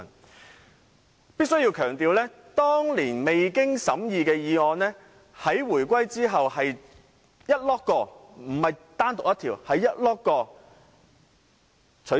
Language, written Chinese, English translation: Cantonese, 我必須強調，當年未經審議的議案，在回歸後是整批，而非單獨一項被取消。, I must stress that at that time all motions not individual items which had not been scrutinized before the reunification were repealed after the reunification